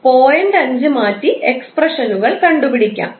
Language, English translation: Malayalam, 5 and solve the expressions